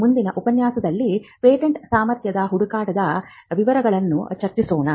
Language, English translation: Kannada, And the following lectures we will discuss the details about patentability search